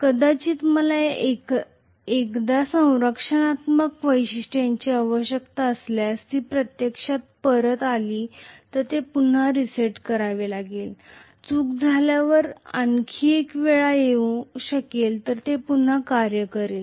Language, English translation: Marathi, Maybe if I need a protective feature once it will actually, again it has to be reset, may be another time when the fault happens it will again act